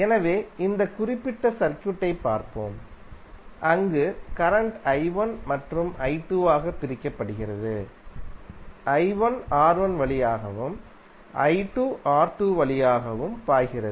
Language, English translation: Tamil, So now let us see this particular circuit where current is being divided into i1 and i2, i1 is flowing through R1 and i2 is flowing through R2